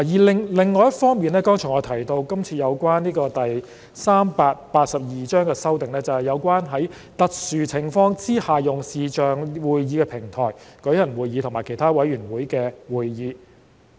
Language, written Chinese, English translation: Cantonese, 另一方面，我剛才也提到今次對第382章的另一修訂，就是在特殊情況下採用視像會議平台舉行立法會會議和其他委員會的會議。, On the other hand I have also mentioned another amendment to Cap . 382 just now which is the use of videoconferencing platform for holding sittings of the Legislative Council and other committees in exceptional circumstances